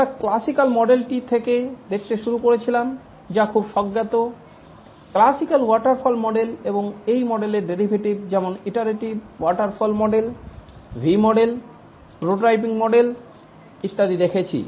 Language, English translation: Bengali, We had started looking at the classical model which is very intuitive, the classical waterfall model and the derivatives of this model, namely the iterative waterfall model, looked at the V model, prototyping model, and so on